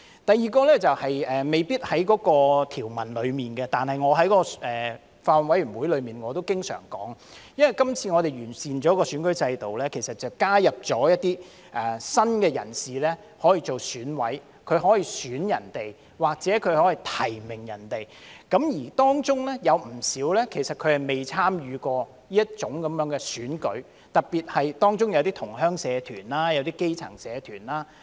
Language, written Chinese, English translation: Cantonese, 第二，未必是關乎條文，但我在法案委員會會議上也經常提出，我們這次完善選舉制度，將加入一些新的人士可以擔任選委，他們可以選他人或提名他人；而當中有不少人其實未參與過這種選舉，特別是同鄉社團、基層社團。, Secondly while this may not necessarily concern the provisions I often mentioned at the meetings of the Bills Committee that our current improvement of the electoral system will entail adding some new people to the membership of the Election Committee EC who may elect or nominate others but a lot of them―particularly associations of Chinese fellow townsmen and grass - roots associations―have never participated in this kind of elections before